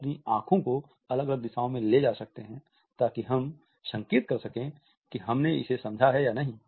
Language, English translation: Hindi, We can move our eyes in different directions to suggest whether we have understood it or not